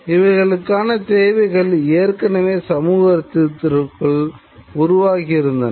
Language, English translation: Tamil, These were already the needs which are there within the society